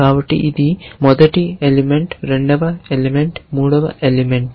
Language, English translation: Telugu, So, this is the first element, second element, third element